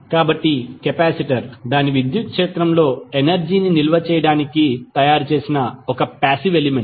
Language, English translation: Telugu, So, capacitor is a passive element design to store energy in its electric field